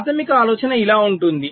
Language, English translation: Telugu, the basic idea is like this